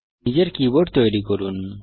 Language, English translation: Bengali, Create your own keyboard